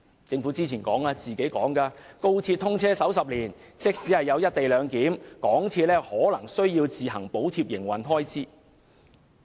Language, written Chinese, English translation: Cantonese, 政府早前說，高鐵通車首10年，即使有"一地兩檢"，香港鐵路有限公司可能仍需要自行補貼營運開支。, The Government said earlier that even if the co - location arrangement was put in place the MTR Corporation Limited might still need to subsidize the operational expenses of XRL within the first 10 years following its commissioning